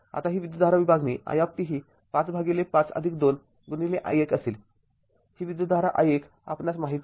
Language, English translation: Marathi, Now, this current division I t will be 5 by 5 plus 2 into i1 right now, this i1 you know this i1 you know